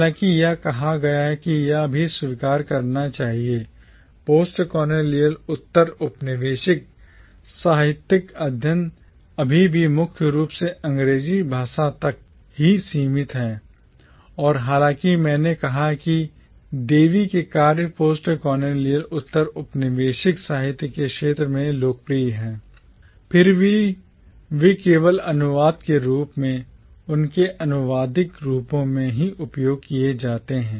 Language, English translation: Hindi, However, having said this one should also admit that postcolonial literary studies still predominantly confined itself to English language and even though I said that Devi’s works are popular within the field of postcolonial literature, yet they are accessed only as translations, in their translated forms